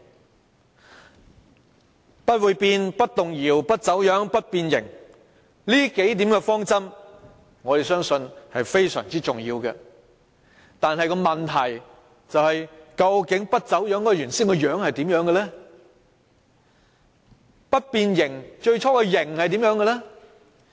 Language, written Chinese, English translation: Cantonese, 我們相信不會變、不動搖、不走樣、不變形這數點方針是非常重要，但問題是不走樣的原本樣子如何，不變形的最初形式如何。, We believe that the principles of not being bent shaken distorted or deformed are very important . But the question is What is the original outlook without being distorted or deformed?